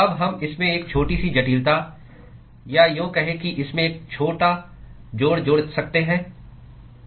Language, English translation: Hindi, We can now add a small complication to it, or rather small addition to it